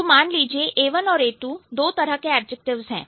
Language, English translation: Hindi, Let's say A1 and A2 there are two kinds of objectives